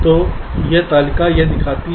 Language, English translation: Hindi, so this table shows this